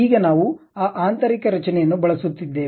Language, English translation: Kannada, Now, we are using that internal structure